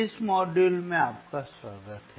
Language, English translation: Hindi, Welcome to this module